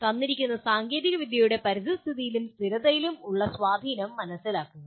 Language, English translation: Malayalam, Understand the impact of a given technology on environment and sustainability